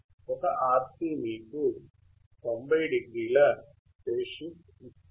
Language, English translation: Telugu, One RC will give you a phase shift of 90o